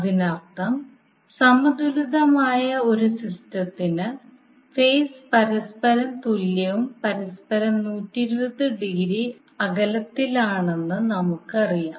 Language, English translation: Malayalam, That means for a balanced system we generally know that the phases are equally upon equally distant with respect to each other that is 120 degree apart from each other